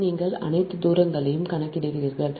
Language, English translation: Tamil, so first you calculate all the distances right